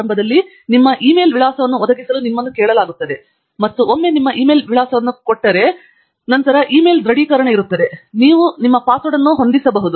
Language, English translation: Kannada, Initially, you will be asked to provide your e mail address, and once give your e mail address, then there will be an e mail confirmation, following which you will be able to set your password